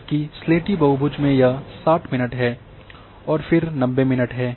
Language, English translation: Hindi, Whereas in grey polygon this is 60 minutes and then it is 90 minutes